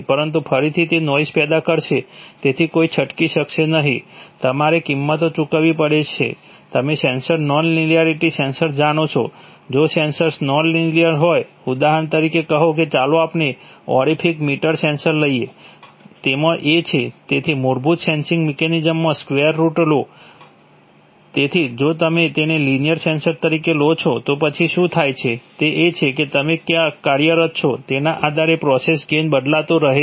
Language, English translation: Gujarati, They can be sometimes cancelled by high pass filtering but again that will build up noise, so there is no escape, you have to pay prices, sensor non linearity, you know, sensors, if the senses are non linear, for example tell, let us take a orifice meter sensor, it has a, it has a square root law in its basic sensing mechanism, so as this, so if you take it as a linear sensor then what happens is that the process gain keeps changing depending on where you are operating